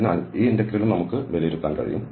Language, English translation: Malayalam, So, this line integral we will evaluate